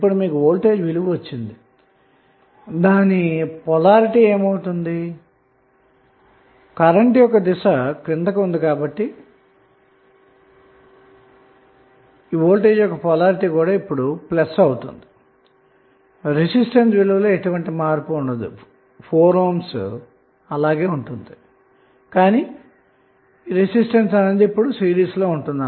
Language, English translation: Telugu, Now, you have got the value of voltage what should be its polarity since, current is down ward so, your polarity will be plus now, what would be the value of resistance, resistance value will remain same but, now it will be in series